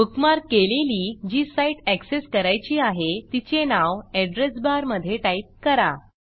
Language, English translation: Marathi, The easiest way, to access a site that you bookmarked, is to type the name in the Address bar